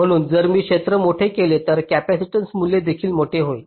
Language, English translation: Marathi, so if i make the area larger, this capacitance value will also become larger, so this delay will also increase